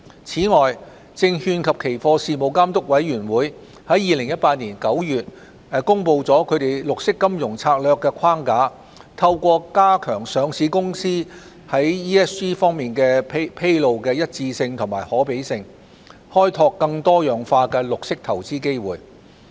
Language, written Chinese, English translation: Cantonese, 此外，證券及期貨事務監察委員會在2018年9月公布其綠色金融策略框架，透過加強上市公司在 ESG 方面作披露的一致性和可比性，開拓更多樣化的綠色投資機會。, In addition the Securities and Futures Commission SFC announced its Strategic Framework for Green Finance in September 2018 to explore more diversified green investment opportunities by enhancing the consistency and comparability of the ESG information disclosed by listed companies